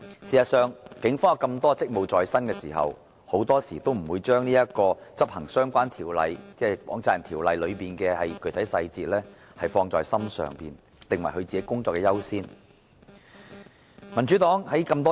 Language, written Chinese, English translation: Cantonese, 事實上，警方有眾多職務在身，很多時候也不會把執行《放債人條例》的相關具體細節放在心上，訂為要優先處理的工作。, In fact burdened with plenty of duties very often the Police will not bear the relevant specific details of the enforcement of the Money Lenders Ordinance in their mind or make it their priority task